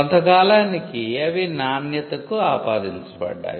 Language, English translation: Telugu, Over a period of time, they came to be attributed to quality